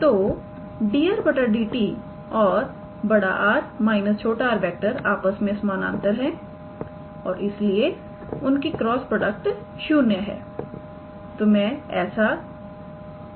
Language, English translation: Hindi, So, dr dt and capital R minus small r are parallel to one another and therefore, their cross product is 0